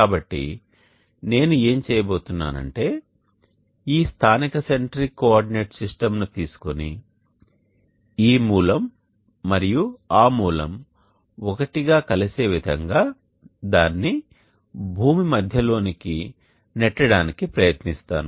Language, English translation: Telugu, So what I am going to do is take this local centric coordinate system and try to push it down to the center of the earth such that this origin and this origin are the same